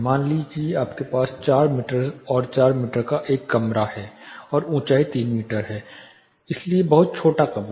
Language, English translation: Hindi, Say you have a room of for example 4 meter by 4 meter and the height is 3 meter, so very small room